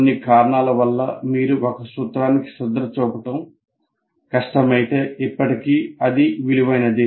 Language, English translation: Telugu, But if for some reason you find it difficult to pay attention to one of the principles, still it is worthwhile